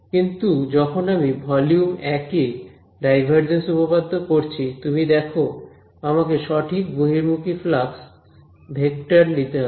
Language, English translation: Bengali, But when I am doing the divergence theorem to volume 1, you notice that I have to take the correct out going flux vector right